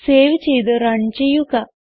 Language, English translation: Malayalam, Save it Run